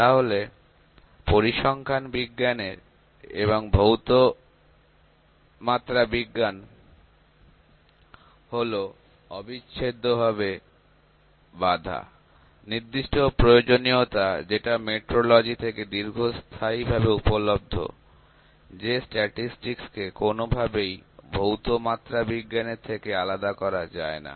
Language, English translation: Bengali, So, statistical science and physical metrology are inseparable knotted; certain necessaries that metrologies have long understood this that statistics cannot be separated from the physical metrology